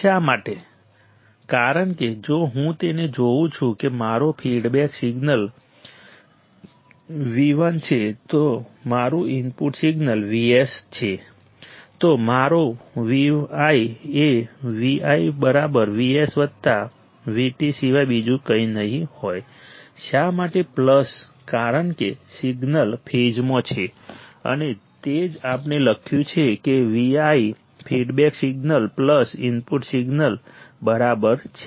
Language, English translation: Gujarati, Why, because if I see it my feedback signal is V t my input signal is V s, then my V i would be nothing but Vi = Vs+Vt, Why plus because the signal is in phase and that is what we have written Vi equals to feedback signal plus input signal